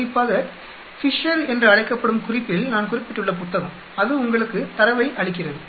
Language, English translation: Tamil, Especially, the book quite I mentioned in the reference called Fisher, that gives you the data